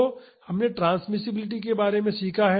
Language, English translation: Hindi, So, we learned about transmissibility